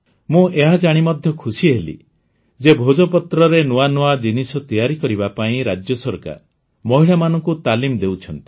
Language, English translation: Odia, I am also happy to know that the state government is also imparting training to women to make novel products from Bhojpatra